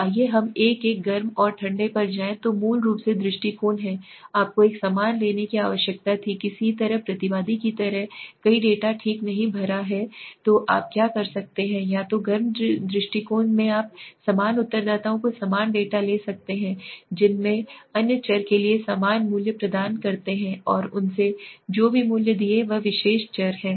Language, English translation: Hindi, So let us go to the each one hot and cold basically are approaches were you need to take a similar kind of suppose somebody respondent has not filled up several data okay so what you can do is either in the hot approach you can take a similar data of the similar respondents a respondents who has provided similar values so for the other variables and whatever values he has given for that particular variable